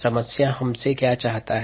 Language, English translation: Hindi, what does the problem want us to find